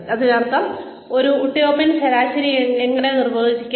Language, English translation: Malayalam, Which means, how do we define this Utopian average